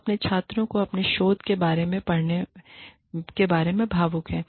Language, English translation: Hindi, We are passionate, about our students, about our teaching, about our research